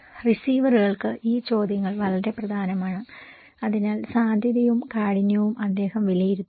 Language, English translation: Malayalam, These questions are very important for the receivers, which we, so, the probability and the severity he would judge